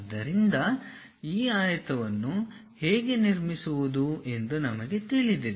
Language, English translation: Kannada, So, we know how to construct that rectangle construct that